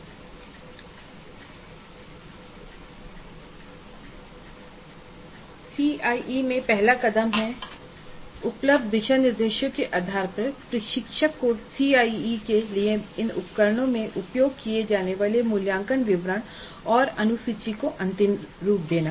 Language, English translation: Hindi, So, the first step in CIE would be based on the available guidelines the instructor must finalize the details of the assessment instruments to be used and the schedule for administering these instruments for CIE